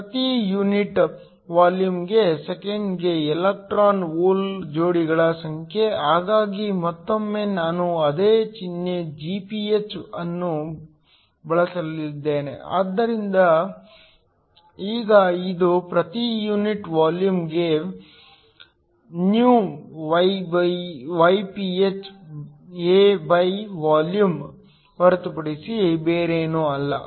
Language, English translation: Kannada, The number of electron hole pairs per second per unit volume, so again I am going to use the same symbol Gph, but now this is per unit volume is nothing but phAVolume